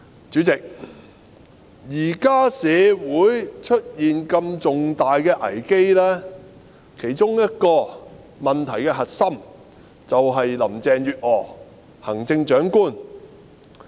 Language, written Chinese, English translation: Cantonese, 主席，現時社會出現如此重大的危機，問題的其中一個核心便是行政長官林鄭月娥。, President a main cause for the emergence of such a major crisis in society now is the Chief Executive Carrie LAM